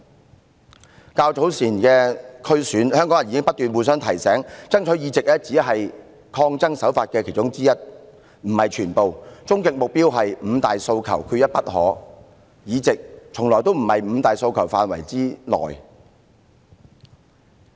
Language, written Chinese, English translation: Cantonese, 就較早前的區議會選舉，香港人已不斷互相提醒，爭取議席只是其中一種抗爭手法，終極目標是"五大訴求，缺一不可"，議席從來不在"五大訴求"範圍之內。, In the District Council Election held earlier people in Hong Kong continued to remind each other that winning more seats in the District Councils was only one of the tactics in the protest . Our ultimate goal is to achieve Five demands not one less . Winning more seats has never been included in the five demands